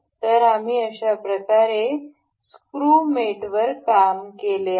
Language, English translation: Marathi, So, this was the screw mate that we have worked